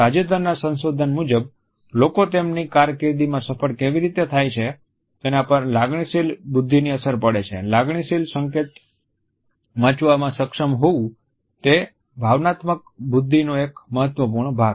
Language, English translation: Gujarati, Recent research shows that emotional intelligence has an impact on how successful people are in their careers, being able to read emotional signals is one important part of that emotional intelligence